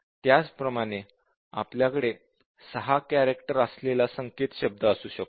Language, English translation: Marathi, Similarly, you might have a password 6 character string